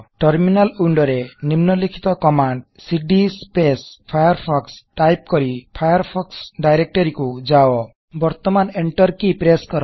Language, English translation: Odia, In the Terminal Window go to the Firefox directory by typing the following command cd firefox Now press the Enter key